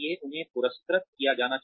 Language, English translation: Hindi, They should be rewarding